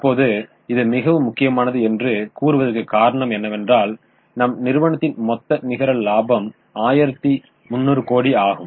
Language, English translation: Tamil, Now this is very important because if you tell somebody that total net profit of our company is, let us say, 1,300 crores